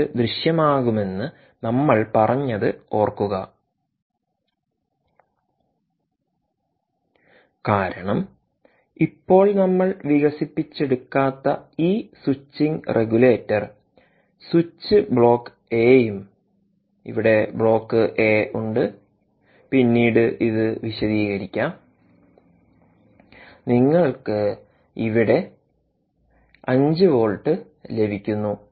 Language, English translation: Malayalam, we said five point two appears by magic because this switching regulator switch we havent expanded at the moment, also written has block a here will be elaborated later, of course somehow appears and you are getting five volts here